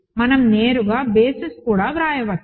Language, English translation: Telugu, We can also directly write a basis